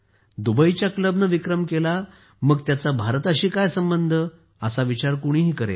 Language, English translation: Marathi, Anyone could think that if Dubai's club set a record, what is its relation with India